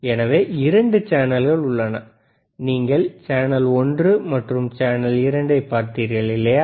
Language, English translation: Tamil, So, there are 2 channels, if you see channel one, channel 2, right